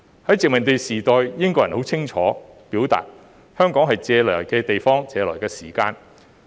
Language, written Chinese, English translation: Cantonese, 在殖民地時代，英國人很清楚表明，香港是借來的地方，當時是借來的時間。, During the colonial era the British explicitly stated that Hong Kong was a borrowed place with borrowed time